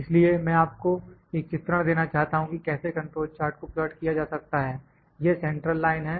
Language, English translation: Hindi, So, I like to just give you an illustration that how to control chart is plotted, this is central line